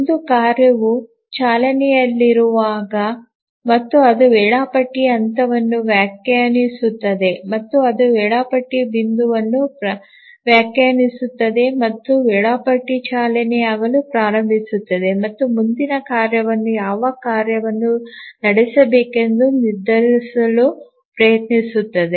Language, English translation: Kannada, So, whenever a task is running and it completes that wakes up the scheduler, that defines a scheduling point and the scheduler starts running and tries to decide which task to run the next